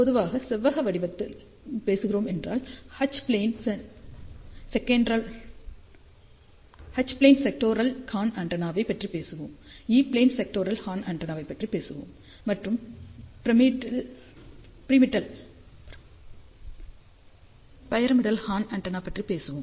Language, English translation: Tamil, So, generally speaking in the rectangular shape, we will talk about H plane sectoral horn antenna, we will talk about E plane sectoral horn antenna, and pyramidal horn antenna